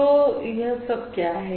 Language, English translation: Hindi, What are these